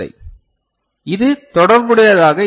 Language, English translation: Tamil, So, this is connected right